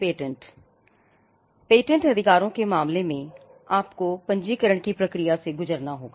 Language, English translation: Hindi, Patent Rights, you need to go through a process of registration